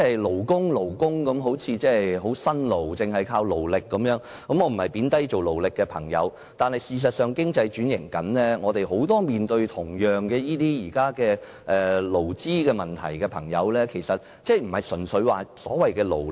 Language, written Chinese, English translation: Cantonese, "勞工"一詞，聽來好像很辛勞，只是靠勞力，我並非貶低從事勞力工作的朋友，但事實上，經濟正在轉型，很多同樣面對勞資問題的朋友並非純粹單靠所謂勞力。, I am not belittling people engaged in manual labour . However the economy is in fact transforming . Many people who similarly face labour issues are not purely and simply manual workers so to speak